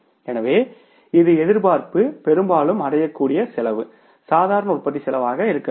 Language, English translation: Tamil, So, this is expectation, most likely to be attained cost but should be the normal cost of production